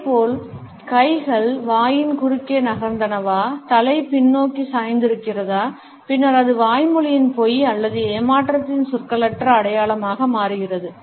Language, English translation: Tamil, Similarly, we find if the hands have moved across the mouth, head is tilted backwards, then it becomes a nonverbal sign of verbal deceit untruth or lying or deception